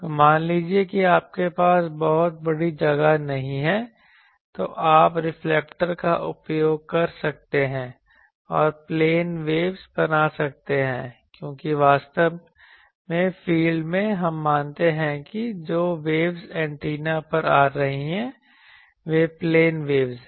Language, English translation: Hindi, So, also so that is why also there is a thing that suppose you do not have a very large space, you can use reflectors and make plane waves because, in far field actually we assume that the waves that are coming on the antenna those are plane waves